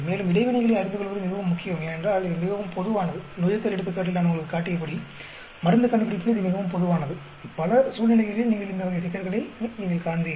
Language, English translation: Tamil, And it is very very important to know interaction because it is very common, as I showed you in the fermentation example, drug discovery it is very very common; in many situations you will find these type of problems